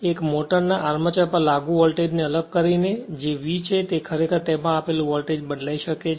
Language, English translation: Gujarati, One is by varying the voltage applied to the armature of the motor that is your V; you can vary that applied voltage